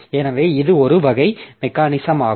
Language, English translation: Tamil, So, this is one type of mechanism